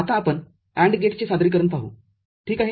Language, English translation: Marathi, Now, we look at representation of AND gate ok